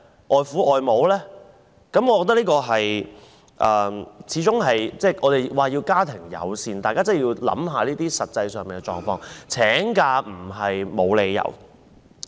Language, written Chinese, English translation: Cantonese, 我們常說要家庭友善，但大家真的要考慮這些實際狀況，請假並非沒有理由。, We often talk about the need to be family - friendly and we really need to consider these practical situations . It is not unjustified for male employees to take leave